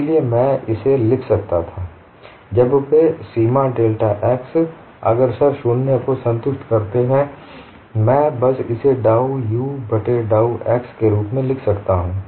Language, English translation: Hindi, So this I could write it, as when the satisfy the limit x tends to 0, I can simply write this as dou u by dou x